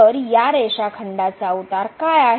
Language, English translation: Marathi, So, what is the slope of this line segment